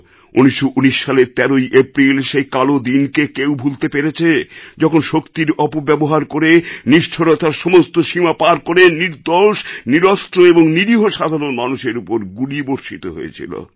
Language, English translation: Bengali, Who can forget that dark day of April 13, 1919, when abusing all limits of power, crossing all the boundaries of cruelty; theguiltless, unarmed and innocent people were fired upon